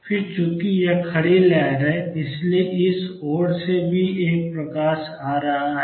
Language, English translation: Hindi, Then since this is the standing wave there is a light coming this way also